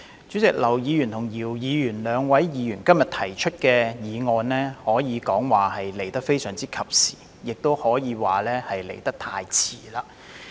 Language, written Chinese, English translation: Cantonese, 主席，兩位議員今天提出議案和修正案，可說是非常及時，也可說是太遲。, President it can be said that it is both timely and too late for the two Members to propose the motion and the amendment today